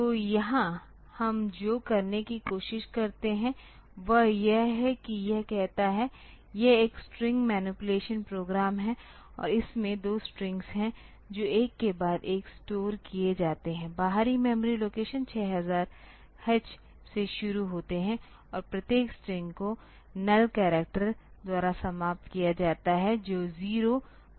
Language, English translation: Hindi, So, here what we try to do is that it says; it is a string manipulation program and there are 2 strings stored one after another, starting from external memory location 6000 H and each string is terminated by a null character that is a zero byte